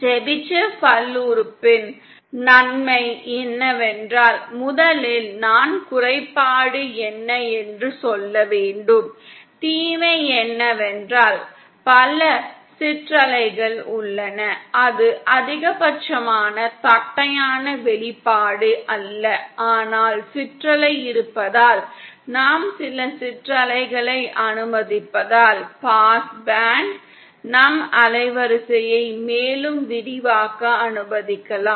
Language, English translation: Tamil, The advantage of the Chebyshev polynomial is that, first I should say the disadvantage, the disadvantage is that there are multiple ripple, it is not a maximally flat expression, but then because of the presence of ripple, we can because we are allowing some ripples in the past band, we can allow our band width to be further expanded